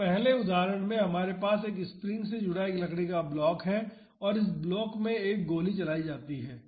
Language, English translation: Hindi, So, in the first example we have a wooden block connected to a spring and a bullet is fired into this block